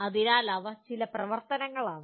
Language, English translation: Malayalam, So these are some of the activities